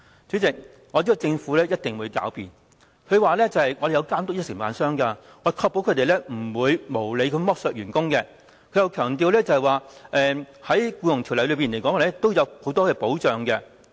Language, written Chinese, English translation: Cantonese, 主席，我知道政府一定會狡辯說有監督承辦商，確保他們不會無理剝削員工，又會強調《僱傭條例》裏面有很多保障。, President I know that the Government will argue that contractors are under supervision to ensure protection for employees from unreasonable exploitation . The Government will also stress that there are sufficient safeguards in the Employment Ordinance EO